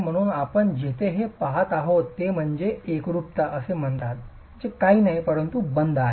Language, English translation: Marathi, So, what we are really looking at here is what is called cohesion which is nothing but bond